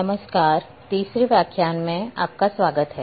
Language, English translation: Hindi, Hello, welcome to this 3rd Lecture in this series